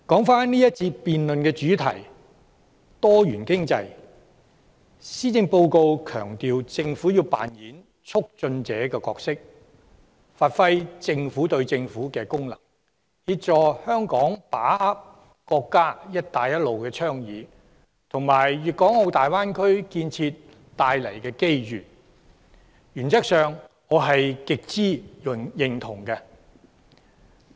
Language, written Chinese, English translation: Cantonese, 返回這辯論環節的主題：多元經濟。施政報告強調政府要扮演促進者的角色，發揮"政府對政府"的功能，協助香港把握國家"一帶一路"倡議及大灣區建設帶來的機遇，原則上我極之認同。, Coming back to the theme of this session which is about diversified economy the Policy Address emphasizes that the Administration should play the role of a facilitator and that it should exercise the function of government - to - government liaison to assist Hong Kong in seizing the opportunities brought about by the Belt and Road Initiative and the construction of the Greater Bay Area by the State